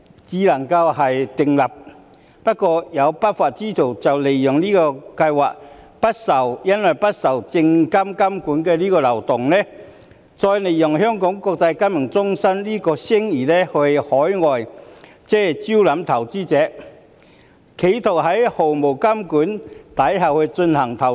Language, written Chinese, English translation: Cantonese, 可是，有不法之徒利用這項計劃不受證監會監管的漏洞，並利用香港國際金融中心的聲譽招攬海外投資者，企圖在毫無監管下進行投資。, However some lawbreakers have exploited the loophole in this scheme that it is not regulated by the Securities and Futures Commission SFC and used Hong Kongs reputation as an international financial centre to attract overseas investors attempting to engage in investments in the absence of regulation